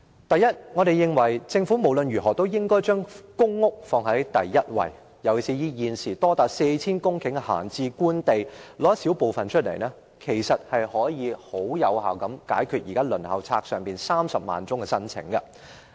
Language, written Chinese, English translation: Cantonese, 第一，我們認為政府無論如何也應把公屋放在第一位，尤其是現時閒置官地多達 4,000 公頃，政府只須撥出一少部分，便可以有效解決現時輪候冊上有30萬宗申請的問題。, First we hold that the Government should accord top priority to public rental housing PRH particularly when there are as much as 4 000 hectares of idle Government land at present . The Government only needs to allocate a small portion of idle land and the problem of having 300 000 applications on the Waiting List can be solved effectively